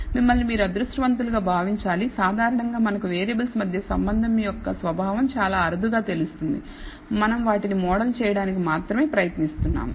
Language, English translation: Telugu, You should consider yourself fortunate typically because we rarely know the nature of the relationship between variables we are only trying to model them